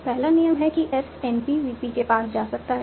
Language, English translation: Hindi, So first rules is as can go to NPVP